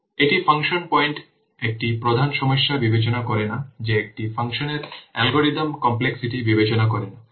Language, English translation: Bengali, It does not consider one of the major problem with function point is that it does not consider algorithm complexity of a function